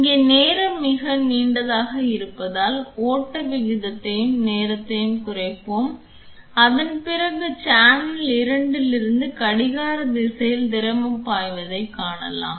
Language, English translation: Tamil, And since the time here is very long I will reduced the flow rate and the time and then you can see fluid flowing from channel 2 in the clockwise direction